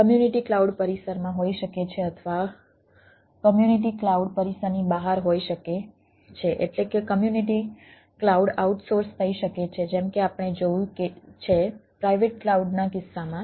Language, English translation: Gujarati, the community cloud can be ah out of means premises, that means the community cloud can be ah out source, as we have seen that in case of a private cloud